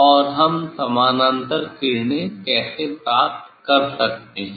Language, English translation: Hindi, And how we can get the parallel rays